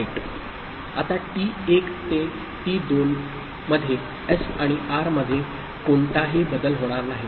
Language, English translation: Marathi, Now t1 to t2 there is no change in S and R